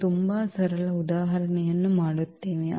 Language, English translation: Kannada, We will be doing very simple example also